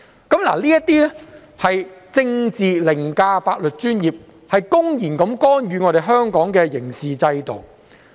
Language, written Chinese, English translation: Cantonese, 這些情況便是政治凌駕了法律專業，公然干預香港的刑事制度。, This is a typical example of putting politics before professionalism which has blatantly interfered with Hong Kongs criminal justice system